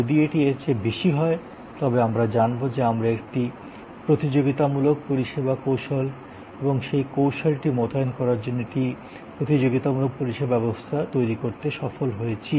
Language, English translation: Bengali, So, if this is higher than this, then we know that we have succeeded in creating a competitive service strategy and competitive service business as a deployment of that strategy